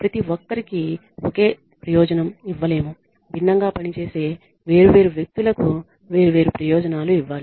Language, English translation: Telugu, Everybody cannot be given the same benefit different people who work differently need to be given different benefits